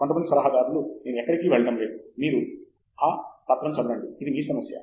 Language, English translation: Telugu, Some advisors will say, I am not going to be hands on, you read the paper, it’s your problem